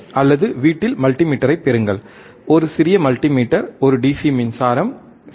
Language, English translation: Tamil, oOr get the multimeter at home, a small multimeter, a DC power supply, right